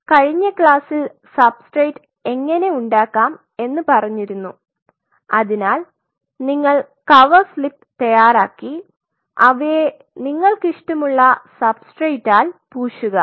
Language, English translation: Malayalam, So, in the last class we talked to you about how to prepare substrate you have to prepare the cover slaves, have to coat them with substrate of your choice